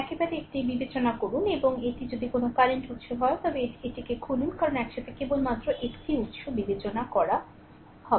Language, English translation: Bengali, Take consider one at a time and if it is a current source you open it right such that, because you have to consider only one source at a time right